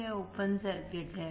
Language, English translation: Hindi, It is open circuit